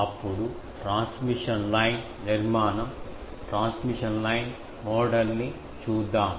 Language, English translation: Telugu, Then, come to my transmission line structure, transmission line model